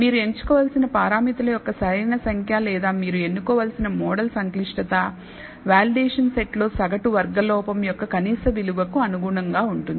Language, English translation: Telugu, So, the optimal number of parameters you should choose or the model complexity you should choose, corresponds to the minimum value of the mean squared error on the validation set and this is called the optimal model